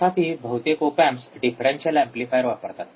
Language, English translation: Marathi, However most of the op amps uses the differential amplifier